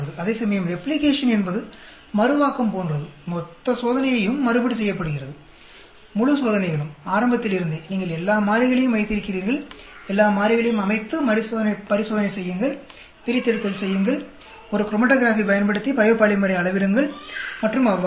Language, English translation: Tamil, Whereas Replication is more like Reproducibility; the entire experiment is repeated; entire experiments; from the beginning you keep all the variables, set all the variables, and do the experiment, do the extraction, measure the biopolymer using a chromatography and so on